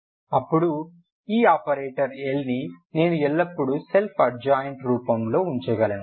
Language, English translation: Telugu, So if I put this L in this form this is not the self adjoint form